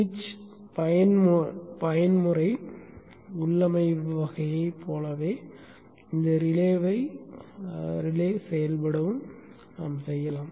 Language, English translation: Tamil, You could also make this relay to work like a switch in a switch to mode type of configuration